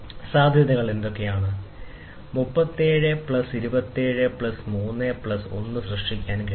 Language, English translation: Malayalam, So, what are the possibilities, 33 can be generated by 27 plus 3 plus 1